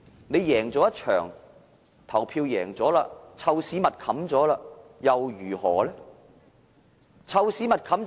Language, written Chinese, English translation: Cantonese, 你贏了一場投票，"臭屎密冚"又如何呢？, What if you win the ballots and manage to cover up all stinking shit?